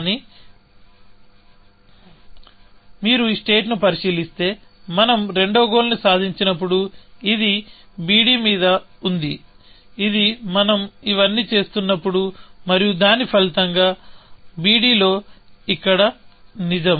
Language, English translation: Telugu, state, when we achieved the second goal, which is on b d, which is what we were doing all this while, and as a result of which, on b d is true here